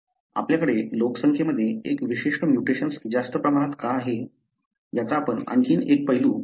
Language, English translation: Marathi, We are going to look into another aspect as to why you have more often a particular mutation more prevalent in a population